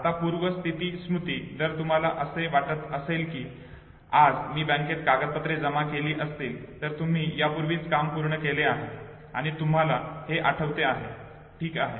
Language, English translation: Marathi, Now retrospective memory, if you think that today I submitted documents to the bank, you have already performed the task and you remember okay